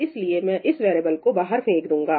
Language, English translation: Hindi, So, I am going to throw away this variable